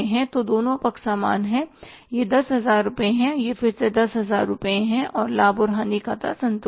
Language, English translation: Hindi, This is 10,000 and this is again 10,000 rupees and your profit and loss account is balanced